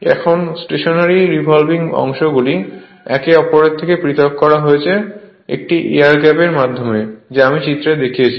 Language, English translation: Bengali, Now, the stationary and rotating parts are separated from each other by an air gap just I show in the diagram right